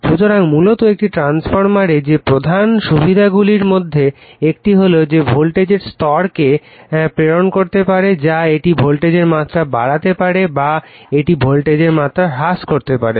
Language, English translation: Bengali, So, basically in a transformer that one of the main advantages is that that it can transmit the voltage level that is it can increase the voltage level or it can you what you call decrease the voltage level